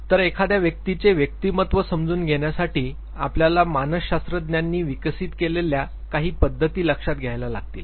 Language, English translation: Marathi, So, to understand personality of any individual, we would understand the approaches taken by psychologists